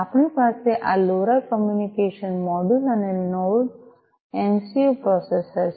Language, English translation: Gujarati, We have this LoRa communication module and the NodeMCU processor